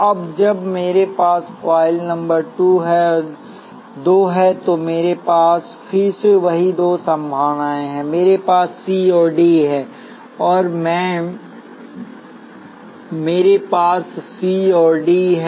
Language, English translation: Hindi, Now when I have coil number 2, again I have the same two possibilities, I have C and D